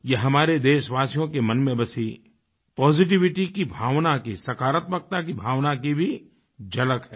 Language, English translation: Hindi, This is an exemplary glimpse of the feeling of positivity, innate to our countrymen